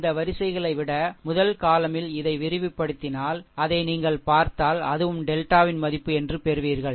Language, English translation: Tamil, If you see that rather than your, rather than rows if you expand this along this first column, right that also will that also will get that your what you call the value of delta